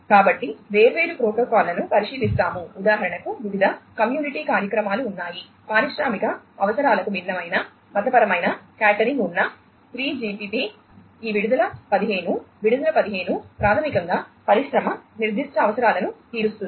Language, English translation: Telugu, So, we will look at different protocols there have been different community initiatives for example, the 3GPP which has different religious you know catering to industrial requirements is this release 15, release 15 basically caters to the industry specific requirements